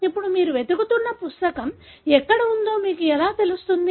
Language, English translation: Telugu, Now, how do you know where is the book that you are looking for